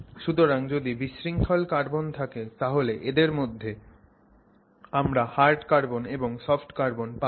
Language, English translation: Bengali, Amongst the family of disordered carbons you can have something called hard carbon and something else called soft carbon